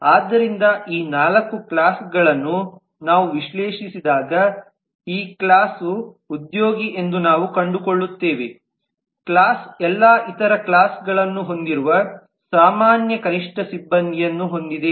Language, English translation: Kannada, so in this way when we analyze all these four classes we find that this class the employee class has kind of the common minimum staff which all other classes have